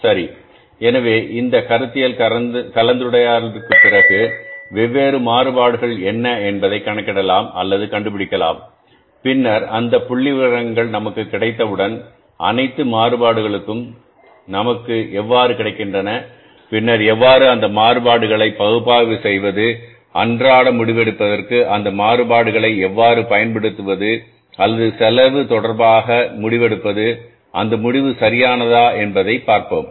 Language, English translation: Tamil, So, after this conceptual discussion now we will learn about but that what are the different variances that can be calculated or we can calculate or we can find out and then once those figures are available with us, all variances are available with us, then we will learn that how to analyze those variances and how to use those variances for the day to day decision making or maybe with regard to the say decine making with regard to the cost